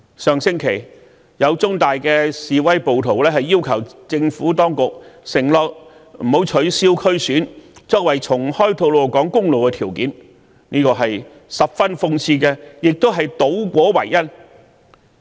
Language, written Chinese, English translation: Cantonese, 上星期，有在香港中文大學示威的暴徒要求政府當局承諾不取消區議會選舉，作為重開吐露港公路的條件，這實在十分諷刺，亦是倒果為因。, Last week the rioters protesting in The Chinese University of Hong Kong made a request to the Government for a promise of not cancelling the DC Election and this was cited as a condition for the reopening of Tolo Highway . This was simply ironical and a reversal of cause and effect too